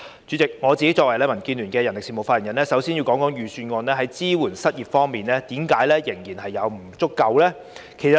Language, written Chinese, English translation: Cantonese, 主席，我作為民建聯的人力事務發言人，首先要談談預算案在失業支援方面的不足之處。, President as the speaker of DAB on manpower issues I will first talk about the inadequacies of the Budget in terms of unemployment support